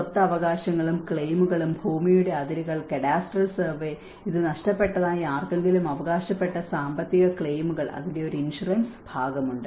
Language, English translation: Malayalam, Property rights and claims, land boundary, cadastral survey, and the financial claims whoever have claimed that they have lost this; there is an insurance part of it